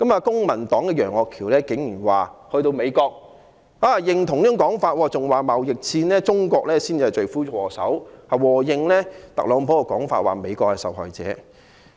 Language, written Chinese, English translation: Cantonese, 公民黨的楊岳橋議員竟然在美國對這種說法表示認同，更說中國才是貿易戰的罪魁禍首，附和特朗普的說法，指美國是受害者。, Mr Alvin YEUNG of the Civic Party actually stated his agreement to such a notion in the United States even saying that China is the culprit of the trade war and seconding TRUMPs claim that the United States is the victim